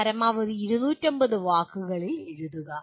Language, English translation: Malayalam, Write some 250 words maximum